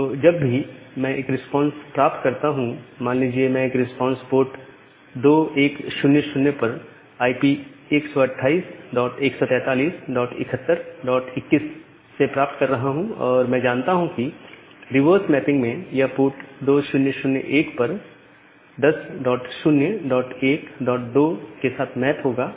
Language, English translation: Hindi, So, whenever I will get a response, if I am getting a response at port 2100 of the IP 128 dot 143 dot 71 dot 21, I know that in the reverse mapping that will be mapped to 10 dot 0 dot 1 dot 2 at port 2001